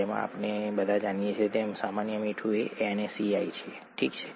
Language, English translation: Gujarati, As we all know common salt is NaCl, okay